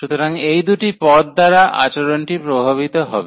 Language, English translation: Bengali, So, the behavior will be influenced by these two terms